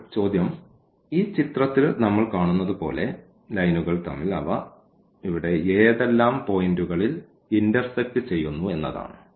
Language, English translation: Malayalam, Now, the question is that as we see in this picture that they intersect at some point here